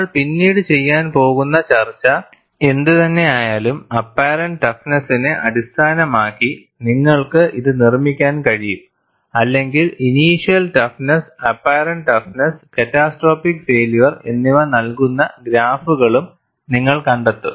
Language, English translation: Malayalam, Whatever the discussion that we are going to do later, you could construct it based on the apparent toughness; or you would also find graph giving initiation toughness, apparent toughness and the toughness at which catastrophic failure occurs